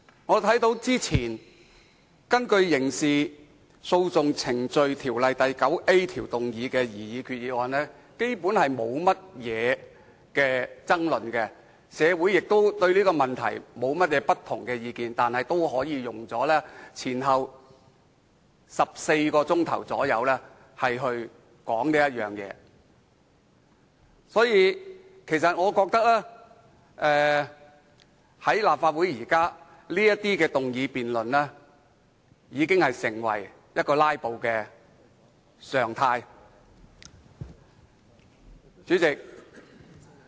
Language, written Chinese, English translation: Cantonese, 我看到早前根據《刑事訴訟程序條例》第 9A 條動議的擬議決議案基本上並沒有任何爭論，社會對此亦無異議，但本會竟也可以前後共花了約14小時進行討論，因此我認為立法會現時的議案辯論的"拉布"行徑已成為常態。, As far as I can see the resolution proposed under section 9A of the Criminal Procedure Ordinance earlier was not controversial and there were no adverse comments in society at large . However to ones surprise this Council spent 14 hours on discussing on the resolution . Therefore I consider that as far as motion debates are concerned filibustering has become the norm in the Legislative Council